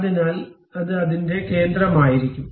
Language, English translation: Malayalam, So, it will be center of that